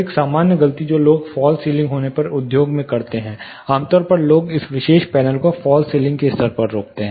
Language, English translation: Hindi, Common mistake which people do in the industry when you have false ceiling, typically people stop this particular panel at the false ceiling level